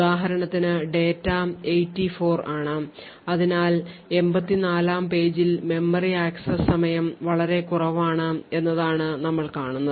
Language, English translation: Malayalam, So over here for example the data has a value of 84 and therefore at the 84th page what is observed is that there is much lesser memory access time